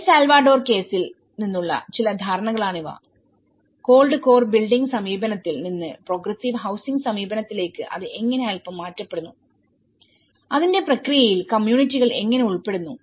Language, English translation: Malayalam, So, these are some of the understanding from the El Salvador case and how it slightly deferred from the cold core building approach to a progressive housing approach and how communities are involved in the process of it